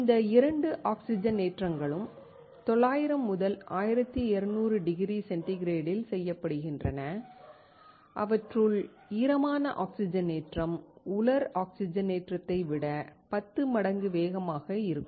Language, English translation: Tamil, Both of these oxidations are done at 900 to 1200 degree centigrade, where wet oxidation is about 10 times faster than dry oxidation